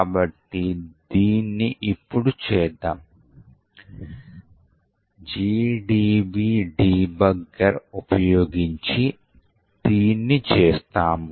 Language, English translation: Telugu, So, let us do this, we will do this by using the GDB debugger, will do, run GDB